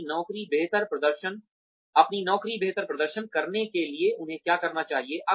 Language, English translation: Hindi, What do they need, to perform their jobs better